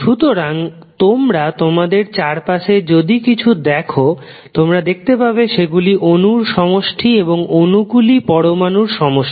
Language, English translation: Bengali, So, if you see anything around you, you will see it is composed of molecules and then molecules are composed of atoms